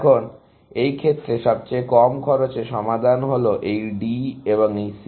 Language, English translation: Bengali, Now, in this case, the least cost solution is this D and this C